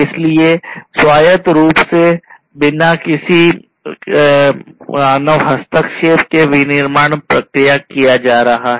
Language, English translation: Hindi, So, autonomic autonomously the manufacturing is going to be done, without any human intervention